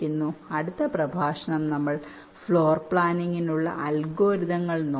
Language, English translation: Malayalam, so now, next lecture, we shall be looking at the algorithms for floor planning